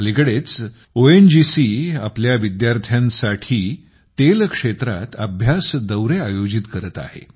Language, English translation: Marathi, These days, ONGC is organizing study tours to oil fields for our students